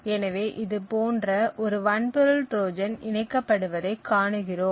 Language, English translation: Tamil, So, let us take a simple example of a hardware Trojan